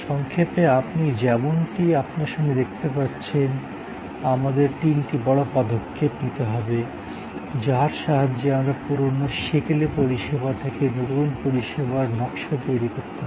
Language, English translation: Bengali, So, in short as you see in front of you, we have three major moves, where we can go with a new service design out of an old service, outdated service